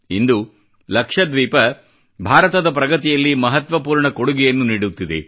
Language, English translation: Kannada, Today, Lakshadweep is contributing significantly in India's progress